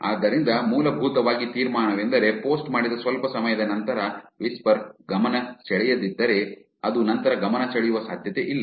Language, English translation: Kannada, So, essentially the conclusion is that if a whisper does not get attention shortly after posting, it is unlikely to get attention later